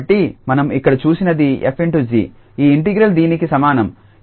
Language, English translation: Telugu, So, what we have seen here that f star g, this integral is equal to this g star f